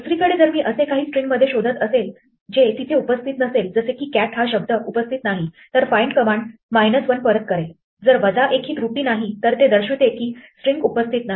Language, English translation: Marathi, If on the other hand I look for something which is not there like "cat" then find will return minus 1, so minus 1 is not the error but the indication that the string was not found